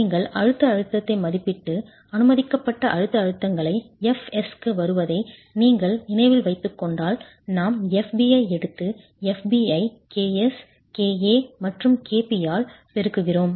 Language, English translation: Tamil, You make an estimate of the compressive stress and if you remember to arrive at the permissible compressive stresses, f s, we took fb and multiplied fb by k a, kp and k s